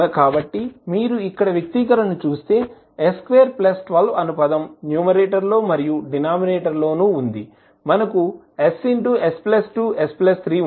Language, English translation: Telugu, So, if you see the expression here, s square plus 12 is there in the numerator and in the denominator we have s into s plus 2 into s plus 3